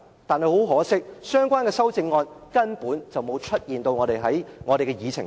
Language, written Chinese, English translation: Cantonese, 但很可惜，相關修正案根本沒有出現在我們的議程上。, But unfortunately the relevant amendments can in no way appear on our Agenda